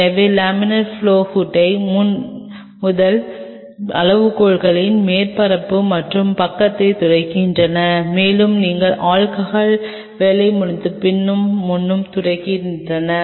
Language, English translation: Tamil, So, on the laminar flow hood front the very first criteria are wipe the surface and the side, and the back after you finish the work with alcohol